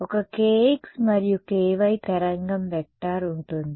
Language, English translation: Telugu, There will be a kx and a ky wave vector right